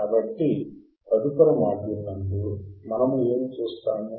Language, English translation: Telugu, So, now in the next module what we will see